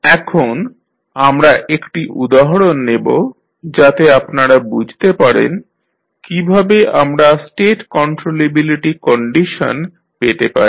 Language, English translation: Bengali, Now, let us take one example so that you can understand how we find the State controllability condition